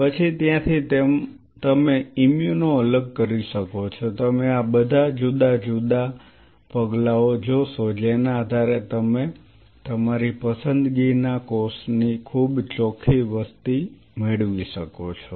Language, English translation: Gujarati, Then from there you can do an immuno separation you see all these different steps by virtue of which you can get a very pure population of the cell of your choice